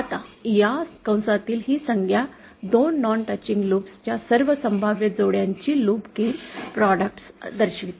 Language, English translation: Marathi, Now this term under this bracket shows the loop gain products of all possible combinations of 2 non touching loops